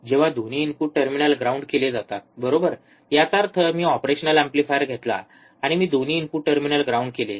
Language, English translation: Marathi, When both the input terminals are grounded right; that means, I take operational amplifier, and I ground both the input terminals